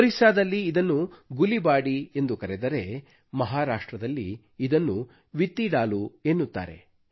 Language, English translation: Kannada, In Odisha it's called Gulibadi and in Maharashtra, Vittidaaloo